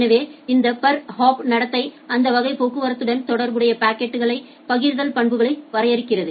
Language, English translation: Tamil, So, this per hop behaviour defines the packet forwarding properties associated with that class of traffic